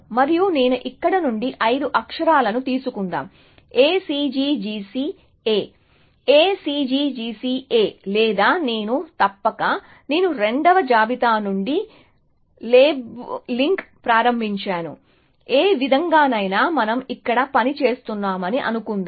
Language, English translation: Telugu, And let me take five characters from here, A C G C A, A C G C A or maybe I should, I have started labeling from the second listing, any way let us assume that, we are working here